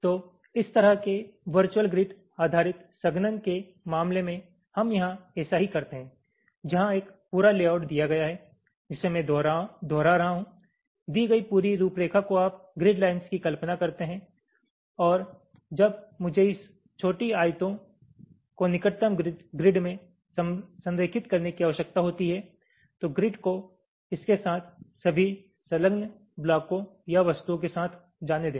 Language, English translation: Hindi, so this is exactly what we do here in case of ah, this kind of virtual grid based compaction where, given a complete layout which i am repeating, given the complete layout you imagine grid lines and as when i am required to align this small rectangles to the nearest grid, then let the grids move with all the attached blocks or objects with it